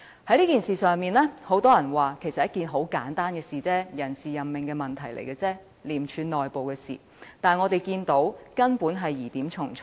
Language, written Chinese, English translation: Cantonese, 很多人聲稱這其實是一件很簡單的事情，只是人事任命問題，屬廉政公署內部事務，但我們卻看到疑點重重。, Many people argued that this is actually a very simple incident and it just involves personnel appointment matters which are in essence the internal affairs of ICAC but we find many doubtful points concerning the case